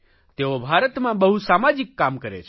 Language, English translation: Gujarati, They do a lot of social work in India